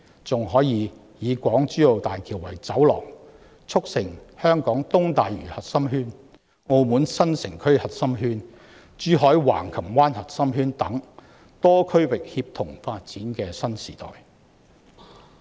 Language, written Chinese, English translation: Cantonese, 此外，港珠澳大橋可作為走廊，促成香港東大嶼核心圈、澳門新城區核心圈、珠海橫琴灣核心圈等多區域協同發展的新時代。, In addition as a corridor HZMB will usher in a new era for the synergized development of nearby regions including an East Lantau core zone the Macau New Urban Zone and a Zhuhai Hengqin core zone